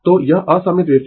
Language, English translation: Hindi, So, this is unsymmetrical wave form